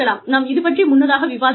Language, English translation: Tamil, And, we have discussed these earlier